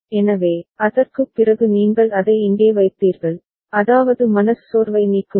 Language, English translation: Tamil, So, after that you put it over here I mean remove the depression